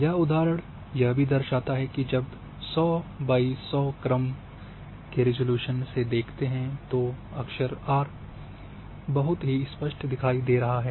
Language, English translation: Hindi, This example also is that when you having the grade 100 by 100 for the same area then this character r are appearing much sharper